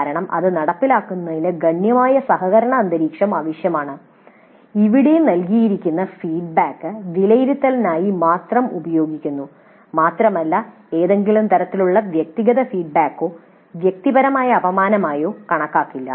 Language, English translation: Malayalam, Of course the implementation of this would require considerable kind of a cooperative environment where the feedback that is given is used only for the purpose of evaluation and it is not really considered as any kind of personal kind of feedback or a personal kind of affront